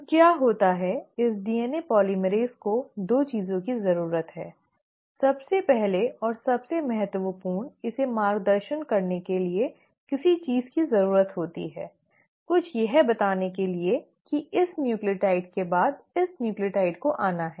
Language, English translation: Hindi, So what happens is this DNA polymerase needs 2 things, first and the foremost it needs something to guide it, something to tell it that after this nucleotide this nucleotide has to come